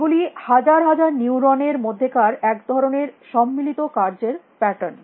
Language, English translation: Bengali, These are kind of concerted patterns of activity in thousands of neurons